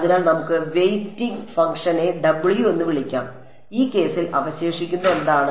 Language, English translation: Malayalam, So, let us call the weighting function w and what is the residual in this case